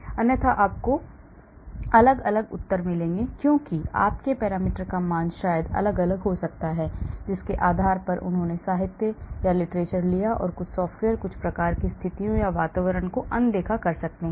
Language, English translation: Hindi, Otherwise you will get different answers, why because your parameter values maybe different depending upon from which literature they took and some software may ignore some type of situations or environment